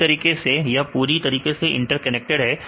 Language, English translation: Hindi, Likewise is completely interconnected